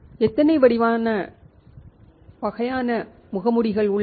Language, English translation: Tamil, How many types of masks are there